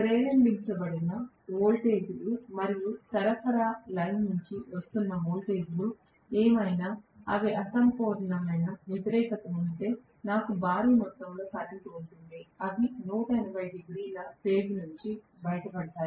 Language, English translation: Telugu, Whether the voltages that were induced and whatever is the voltage that is coming from the supply line, if they are incomplete opposition, I will have a huge amount of current, they can 180 degrees out of phase, very much why not right